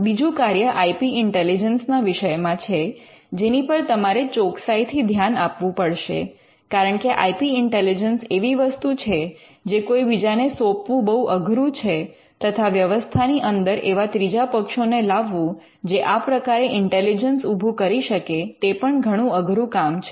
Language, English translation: Gujarati, The second function pertains to I paid intelligence and this is something you need to focus carefully because IP intelligence is something which is very hard to delegate to someone or it is very hard for you to get third parties into the system who can do this intelligence